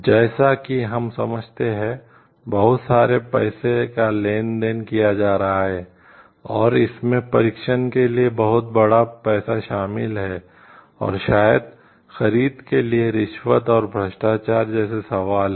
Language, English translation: Hindi, As we understand there is a lot of money transactions happening and, it involves a huge money for testing and maybe procuring etcetera, there could be questions of like bribery and corruption